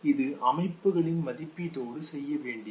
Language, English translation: Tamil, Which had to do with appraisal of the system